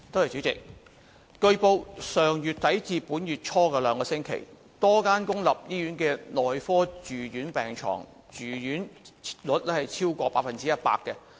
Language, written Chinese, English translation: Cantonese, 主席，據報，上月底至本月初的兩星期，多間公立醫院的內科住院病床住用率超過百分之一百。, President it has been reported that during the two weeks from the end of last month to early this month the medical inpatient bed occupancy rates of a number of public hospitals exceeded 100 %